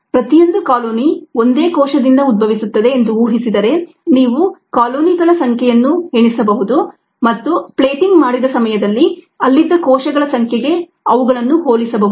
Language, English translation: Kannada, assuming that each colony arises from a single cell, you could count the number of colonies and relate them to the number of cells that were that were there in ah at the time when the plating was done